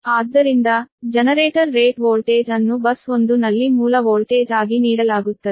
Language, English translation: Kannada, so the generator rated voltage is given as the base voltage at bus one